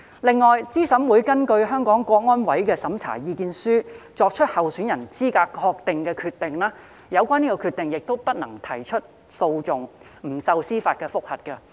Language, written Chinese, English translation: Cantonese, 另外，對資審會根據香港特別行政區維護國家安全委員會的審查意見書作出的候選人資格確認的決定，不能提出訴訟，不受司法覆核。, Besides no legal proceedings or judicial review may be instituted in respect of a decision made by CERC on the eligibility of a candidate for membership of EC the office of Chief Executive or membership of the Legislative Council pursuant to the opinion of the Committee for Safeguarding National Security of HKSAR CSNS